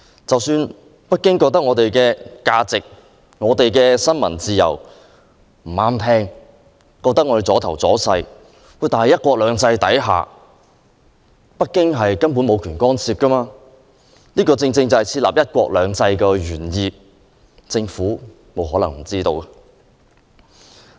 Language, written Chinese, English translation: Cantonese, 即使北京認為香港的價值及新聞自由逆耳和礙事，但在"一國兩制"下，北京根本無權干涉，這正是實行"一國兩制"的原意，政府不可能不知曉。, Even if the values and freedom of the press that Hong Kong upholds happen to grate on Beijings ear and nerves Beijing has no right to interfere under one country two systems . This is exactly the original intent of one country two systems which the Government should be well aware of